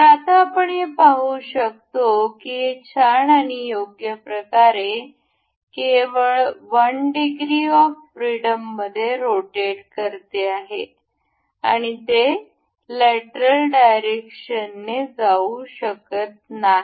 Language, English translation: Marathi, So, now we can see this is nice and good, rotating only in one degree of freedom, and it cannot move in lateral direction